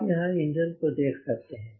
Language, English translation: Hindi, you can see the engine